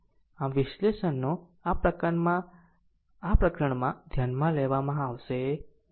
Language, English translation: Gujarati, So, analysis that will not be consider in this chapter right